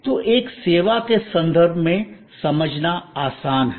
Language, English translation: Hindi, So, it is easy to understand in a service context